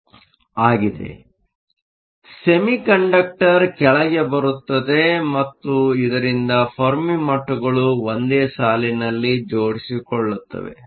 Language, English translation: Kannada, So, we can say that the semi conductor comes down so that the Fermi levels line up